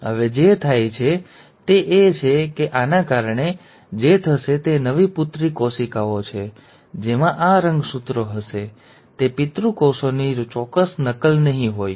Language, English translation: Gujarati, Now what happens is, because of this, what will happen is the new daughter cells, which will have these chromosomes will not be an exact copy of the parent cells